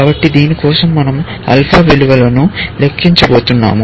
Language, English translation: Telugu, So, we are going to compute alpha values for this